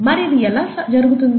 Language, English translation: Telugu, How is this done